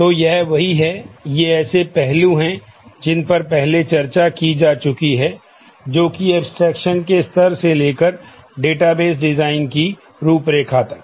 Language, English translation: Hindi, So, this is what, these are the aspects that we are discussed earlier starting from level of abstraction to the outline of database design